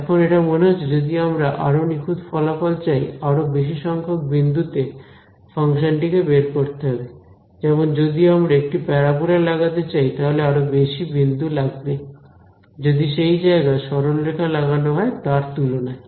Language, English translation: Bengali, Now, it seems that if I want more and more accuracy then I should evaluate my function at more points right; for the if I want to fit a parabola I need more points then if I want to fit a line right